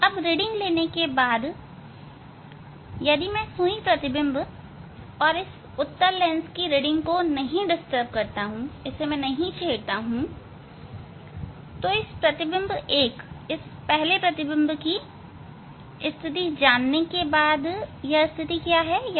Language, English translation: Hindi, After taking reading if I do not disturb this object needle and the convex lens reading then just after finding out this image 1 this position 64